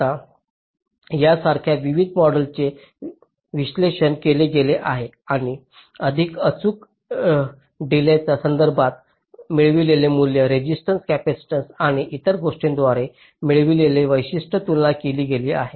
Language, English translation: Marathi, now various models like these have been analyzed and with respect to the more accurate delay characteristics which is obtained by extracted values, resistance, capacitance and other things have been compared